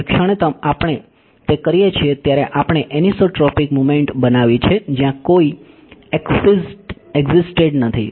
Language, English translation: Gujarati, The moment we do it we have created anisotropic materials where none existed right